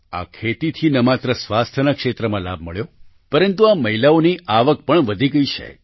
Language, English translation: Gujarati, Not only did this farming benefit in the field of health; the income of these women also increased